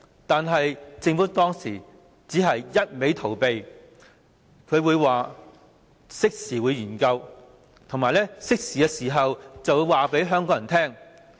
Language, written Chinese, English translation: Cantonese, 但是，政府當時只是一直逃避，推說會作適時研究，以及在適當時候告訴香港人。, However the Government has been evading the matter and saying that it would conduct a timely study and inform Hong Kong people in due course